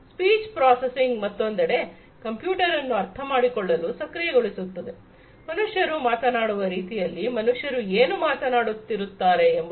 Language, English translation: Kannada, Speech processing, on the other hand, is enabling a computer to understand, the way humans speak, what the humans are speaking